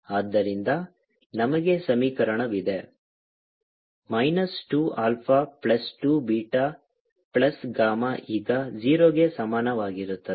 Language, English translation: Kannada, and for i get minus two alpha plus two, beta plus gamma is equal to zero